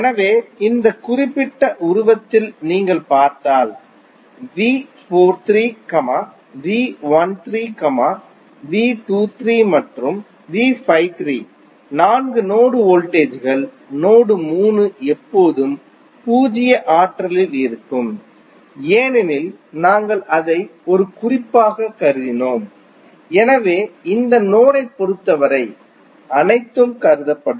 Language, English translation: Tamil, So, if you see in this particular figure V 43, V 13, V 23 and V 53 are the four node voltages, node 3 will always be at zero potential because we considered it as a reference, so with respect to this node all would be considered